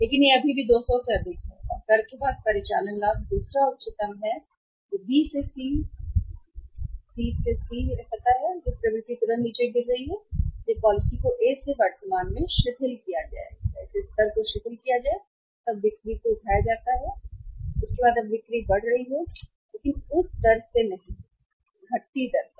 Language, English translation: Hindi, But it is still higher 200 and the operating profit after tax is the second highest that B to C, C to C that know this trend is falling down immediately when be relax the policy from the current to A level then the sales are picked up after that now the sales are going up but not at the same rate at the at the declining rate